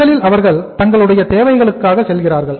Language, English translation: Tamil, First of all they go for the necessities